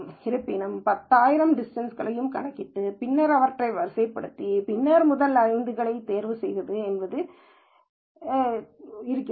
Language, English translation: Tamil, However, it looks like I have to calculate all the 10,000 distances and then sort them and then pick the top 5